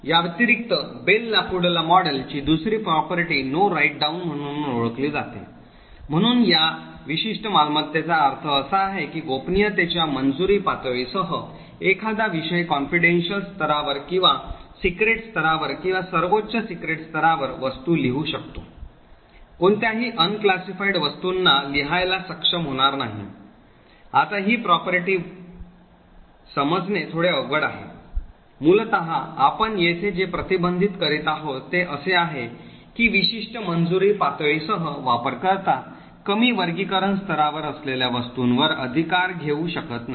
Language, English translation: Marathi, Additionally the Bell LaPadula model also has is second property known as No Write Down, so what this particular property means is that while a subject with a clearance level of confidential can write objects in confidential level or secret level or top secret level, it will not be able to write to any unclassified objects, now this particular property is a bit difficult to understand, essentially what we are restricting here is that a user with a certain clearance level cannot right to objects which are at a lower classification level, on the other hand this particular subject can write to all objects at a higher classification level